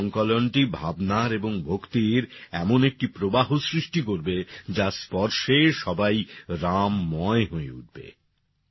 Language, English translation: Bengali, This compilation will turn into a flow of emotions and devotion in which everyone will be immersively imbued with the ethos of Ram